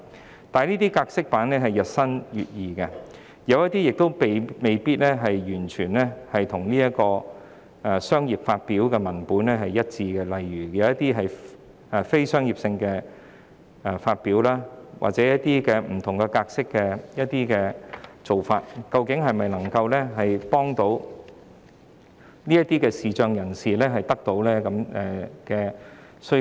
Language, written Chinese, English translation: Cantonese, 然而，由於有關格式版日新月異，有些版本未必完全與"商業發表"的文本一致，例如一些非商業發表或以不同格式製成的文本，未必能滿足視障人士的需求。, However since the relevant formats are ever evolving some copies of works may not be completely consistent with their commercially published counterparts . For example some non - commercially published copies or copies in other formats may not meet the demand of visually impaired persons